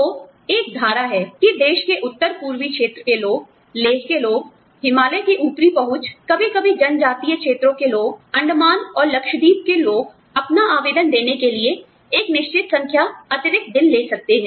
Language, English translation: Hindi, So, there is a clause, that people from the north eastern region of the country, people from Leh, you know, upper reaches of the Himalayas, sometimes people from tribal areas, people from the Andamans and Lakshadweep, can take a certain number of days, extra, to submit their applications